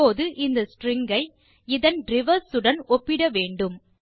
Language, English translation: Tamil, Now, we need to compare this string with its reverse